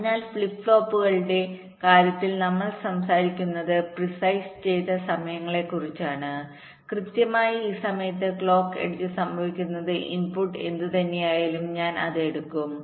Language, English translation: Malayalam, ok, so in case of flip flops, we are talking about precised times, exactly at this time where the clock edge occurs, whatever is the input